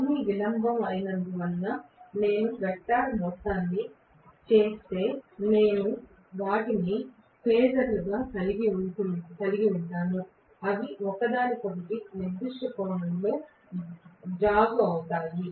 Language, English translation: Telugu, Maybe if I do the vector sum because they are all delayed, I am going to have them as phasers which are delayed from each other by certain angle right